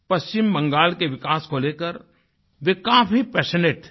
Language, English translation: Hindi, He was very passionate about the development of West Bengal